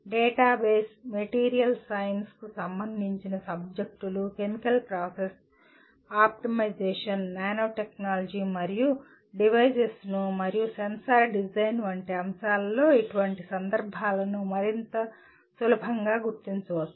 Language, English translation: Telugu, Such context can more readily be identified in subjects like databases, material science related subjects, chemical process optimization, nano technology and devices and sensor design